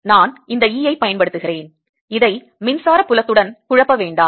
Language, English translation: Tamil, i am using this e do not confuse this with the electric field